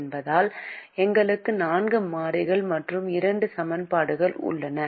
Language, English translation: Tamil, we also know that if we have two equations, we can only solve for two variables